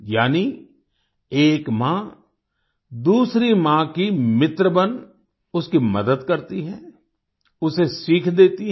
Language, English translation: Hindi, That is, one mother becomes a friend of another mother, helps her, and teaches her